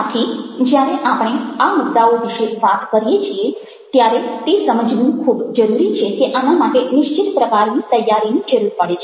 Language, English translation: Gujarati, so when we are talking about these issues, it's very important to realize that this needs certain amount of preparation